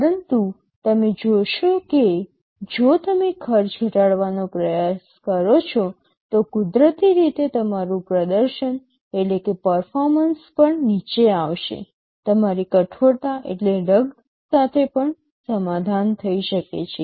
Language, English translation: Gujarati, But you see if you try to reduce the cost, naturally your performance will also go down, your ruggedness can also be compromised